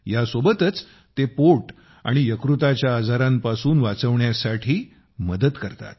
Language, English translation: Marathi, Along with that, they are also helpful in preventing stomach and liver ailments